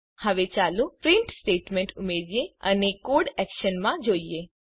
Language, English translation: Gujarati, now Let us add a print statement and see the code in action